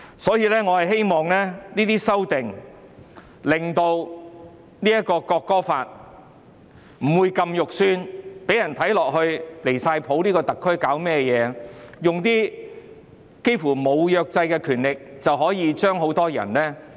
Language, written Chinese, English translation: Cantonese, 所以，我希望這些修訂可以令《條例草案》不會這麼難看，讓人覺得特區政府太離譜，透過《條例草案》用近乎沒有約制的權力來懲罰很多人。, Therefore I hope these amendments can make the Bill look less awful and the Government not as ridiculous as to penalizing lots of people using nearly unrestricted powers through the Bill